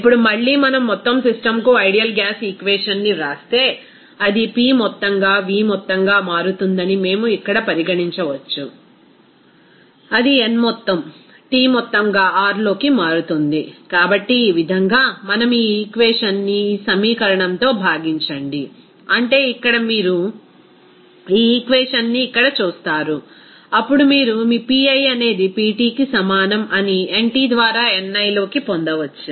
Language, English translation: Telugu, Now, again if we write that ideal gas equation for the whole system, then we can simply consider here that it will be P total into V total that will be equal to n total into T total into R, so in this way so if we divide this equation by this equation, that means here you see this equation here, then you can get your Pi will be is equal to Pt into ni by nt